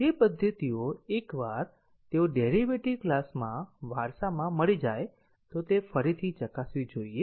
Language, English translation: Gujarati, So, those methods once they are inherited in the derived class should they be tested again